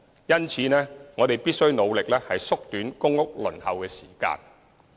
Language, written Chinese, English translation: Cantonese, 因此，我們必須努力縮短公屋輪候時間。, Against this background we should strive to shorten the waiting time for PRH